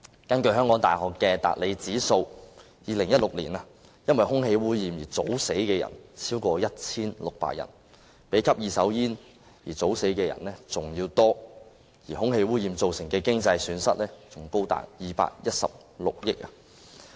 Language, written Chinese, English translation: Cantonese, 根據香港大學的達理指數，在2016年，因為空氣污染而早死的人超過 1,600 人，較因吸二手煙而早死的人數還要多，而空氣污染造成的經濟損失更高達216億元。, According to the Hedley Environmental Index of the University of Hong Kong in 2016 the number of premature deaths due to air pollution was over 1 600 greater than that due to inhalation of second - hand smoke and the economic loss caused by air pollution reached 21.6 billion